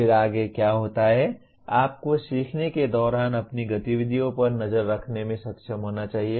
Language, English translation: Hindi, Then what happens next is you should be able to monitor your activities during learning